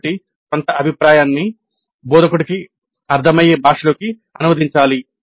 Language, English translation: Telugu, So some feedback has to be translated into a language that makes sense to the instructor